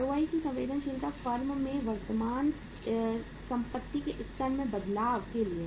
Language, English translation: Hindi, Sensitivity of ROI to the change in the level of current assets in the firm